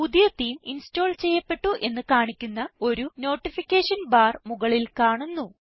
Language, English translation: Malayalam, A Notification bar will appear at the top to alert you that a new theme is installed